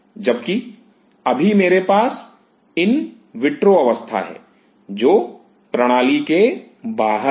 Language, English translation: Hindi, Now I have in an in vitro condition which is outside the system